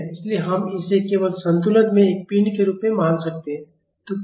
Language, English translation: Hindi, So, we can just treat it as a body in equilibrium